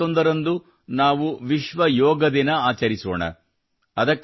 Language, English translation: Kannada, We will also celebrate 'World Yoga Day' on 21st June